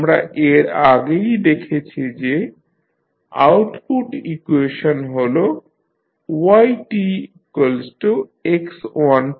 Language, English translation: Bengali, Output equation we have already seen that is yt is equal to x1t